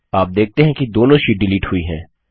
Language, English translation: Hindi, You see that both the sheets get deleted